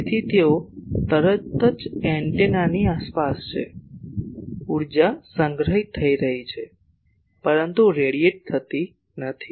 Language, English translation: Gujarati, So, they are immediately surrounding the antenna, the energy is getting stored, but not radiated